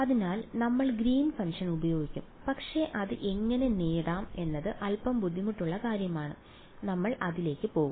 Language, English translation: Malayalam, So, we will use the Green’s function, but the how to get it is little bit tricky, so, we will get to it